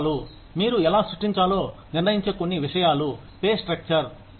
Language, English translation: Telugu, Some things, that determine, how you create a pay structure are, number one